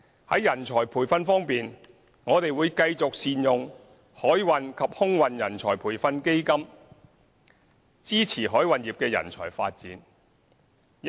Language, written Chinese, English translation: Cantonese, 在人才培訓方面，我們會繼續善用海運及空運人才培訓基金，支持海運業的人才發展。, In respect of manpower training we will continue to make good use of the Maritime and Aviation Training Fund to support manpower development in the maritime industry